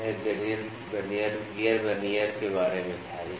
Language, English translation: Hindi, So, this was about the gear Vernier